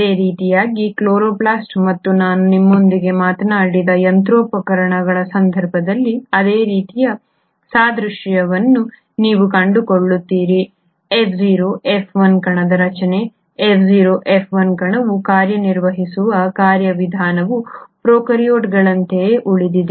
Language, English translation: Kannada, Similarly you find the same sort of analogy in case of chloroplast and even the machinery which I spoke to you, the structure of F0 F1 particle, the mechanism by which the F0 F1 particle functions, has remained very similar to that of prokaryotes